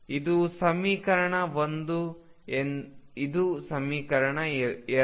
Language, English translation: Kannada, This is equation 1 this is equation 2